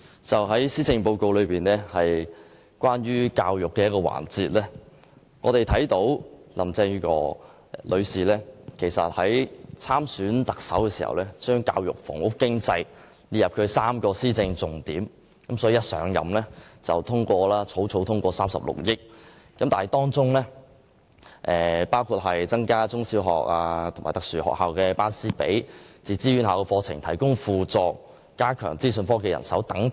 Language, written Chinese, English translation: Cantonese, 就施政報告有關教育的環節，林鄭月娥女士參選特首時，列出教育、房屋和經濟3個施政重點，她甫上任便迅速通過36億元教育經常開支撥款，包括增加中小學及特殊學校的師生比例、為自資院校課程提供輔助及加強資訊科技人手等。, As regards education Mrs Carrie LAM listed education housing and economy as the three key areas with top priorities for policy implementation when campaigning for the Chief Executive election . Upon assumption of office she promptly announced an increase of recurrent education expenditure and the 3.6 billion first - phase funding was quickly approved . The funding will be used to increase the staff - to - student ratios in primary and secondary schools and special schools assist self - financing post - secondary institutions in organizing programmes and provide additional IT manpower